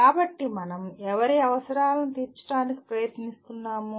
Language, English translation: Telugu, So whose requirements are we trying to meet